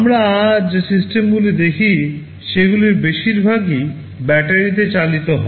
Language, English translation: Bengali, Most of the systems we see today, they run on battery